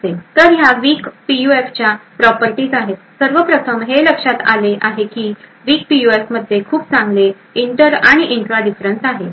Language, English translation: Marathi, So, these are the properties of weak PUFs, 1st of all it has been noticed that weak PUFs have very good inter and intra differences